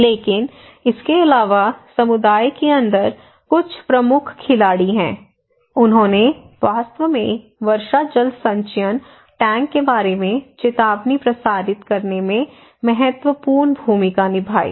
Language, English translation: Hindi, But also, there are some key players inside the community okay, they actually played a critical role to disseminate informations about the rainwater harvesting tank